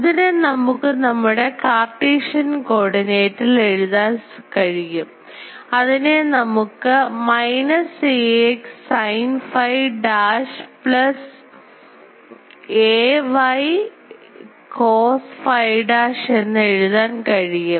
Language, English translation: Malayalam, And we can write it in our Cartesian coordinate; so, that we can write as minus ax sin phi dash plus ay cos phi dash